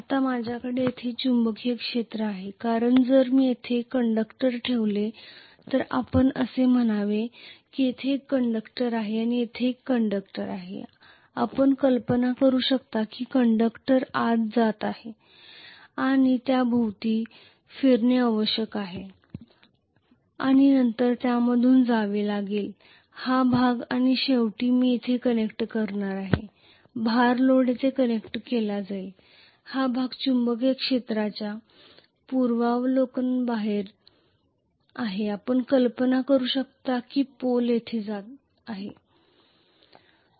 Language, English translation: Marathi, Now because I have the magnetic field here if I put the conductor here let us say there is a one conductor here and one conductor here you can imagine as tough the conductor is going inside and it has to turn around and then it has to come through this portion and ultimately here I am going to connect may be the load, the load will be connected here,right